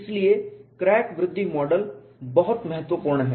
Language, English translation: Hindi, So, the crack growth model has to be realistic